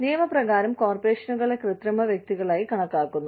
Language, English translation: Malayalam, Corporations are regarded as, artificial persons, by the law